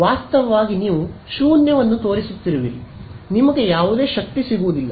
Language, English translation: Kannada, In fact, you are pointing a null you will get no power